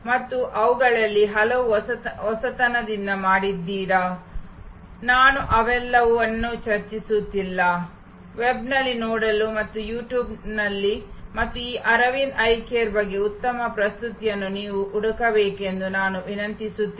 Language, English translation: Kannada, And did it many of those many very innovatively, I am not discussing all of those, I would request you to look on the web and search you will find great presentations on You Tube and about this Aravind Eye Care